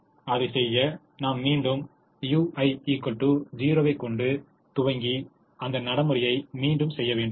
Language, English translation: Tamil, to do that, we once again initialize u one equal to zero and repeat the procedure